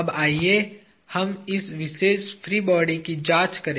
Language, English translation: Hindi, Now, let us examine this particular free body